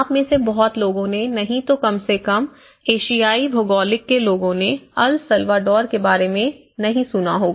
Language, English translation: Hindi, So many of you at least from the Asian geographies, many of you may not have heard of El Salvador